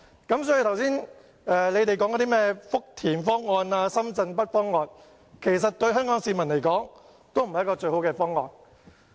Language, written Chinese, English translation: Cantonese, 因此，議員剛才提到的福田方案或深圳北方案，對香港市民而言都不是最好的方案。, Therefore the Futian or Shenzhen North proposal just mentioned by Members is not the best choice for Hong Kong people